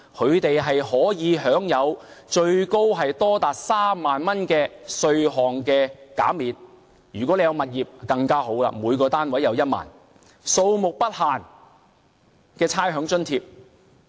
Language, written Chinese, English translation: Cantonese, 他們可享有最高3萬元的稅項減免；如果有物業便更好，每個單位可獲1萬元的差餉減免，並且數目不限。, They could receive a maximum tax concession of 30,000 . They will receive more if they have properties as each property unit will receive a 10,000 rates concession . And there is no limit on the number of properties